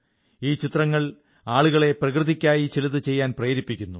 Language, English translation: Malayalam, These images have also inspired people to do something for nature